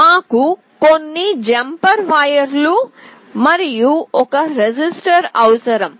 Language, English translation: Telugu, We also require some jumper wires, and a resistor